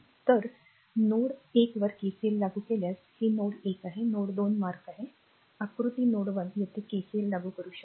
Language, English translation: Marathi, So, if you apply KCL at node one this is node one is mark node 2 is mark you can see that diagram node one you apply KCL here